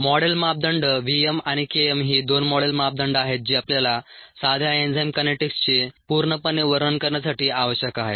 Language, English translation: Marathi, these are the two module parameters that we need to completely describe a simple enzyme kinetics